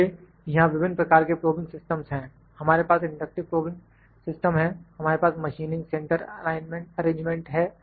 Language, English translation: Hindi, So, different types of probing systems are there we have inductive probing system like we have inductive probing system we have machining center arrangement